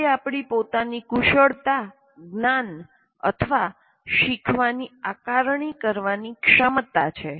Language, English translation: Gujarati, Or it is the ability to assess our own skills, knowledge, or learning